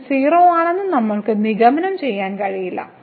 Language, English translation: Malayalam, Thus, we cannot conclude that the limit is 0